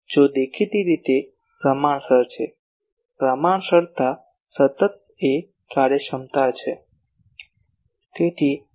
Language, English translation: Gujarati, If, obviously, they are proportional the proportionality constant is efficiency